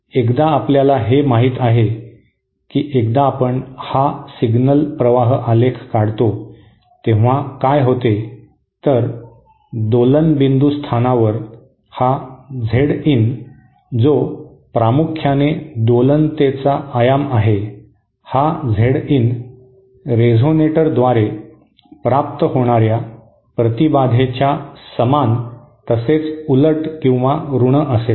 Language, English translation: Marathi, So once we you know once we draw this signal flow diagram what happens is that at the point of oscillation what happens at the point of oscillation, at the point of oscillation this Z in, which is primarily a function of the amplitude of oscillation should be equal and opposite or negative of the impedance offered by the resonator